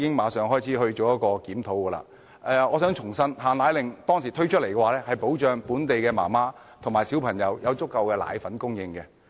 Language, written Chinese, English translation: Cantonese, 我想指出，當初推出"限奶令"的目的是保障本地母親和小孩有足夠的奶粉供應。, I would like to point out that the authorities imposed the restriction on powdered formula for the purpose of ensuring the adequate supply of powdered formula for local mothers and children